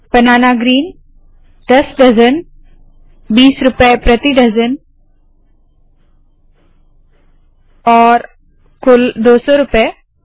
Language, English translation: Hindi, Banana green 10 dozens 20 rupees a dozen and 200 rupees total